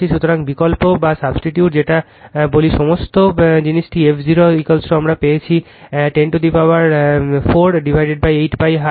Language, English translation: Bengali, So, your what you call you substitute or you substitute your all this thing f 0 is equal to we have got it 10 to the power 4 upon 8 pi hertz